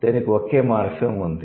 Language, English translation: Telugu, It has only one morphine